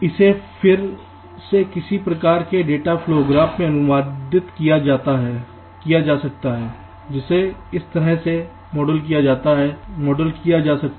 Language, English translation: Hindi, so again, this can be translated into ah, some kind of a data flow graph which can be model like this